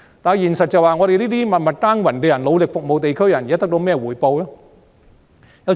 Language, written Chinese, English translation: Cantonese, 但現實是我們這些默默耕耘和努力服務地區的人得到甚麼回報呢？, But in reality what do people like us who have been working quietly and assiduously to serve the local community get in return?